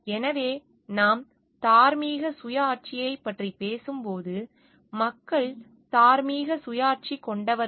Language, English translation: Tamil, So, when we are talking of moral autonomy, it is the people are morally autonomous